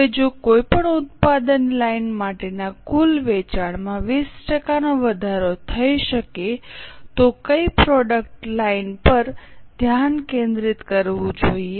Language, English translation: Gujarati, Now which product line should be focused if total sales can be increased by 20% for any one of the product lines